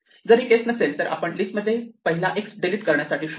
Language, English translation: Marathi, And if this is not the case then we just walk down and find the first x to delete